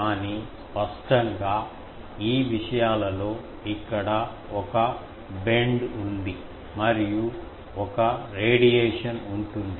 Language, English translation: Telugu, But obviously, in these things there is a bend here and there will be a radiation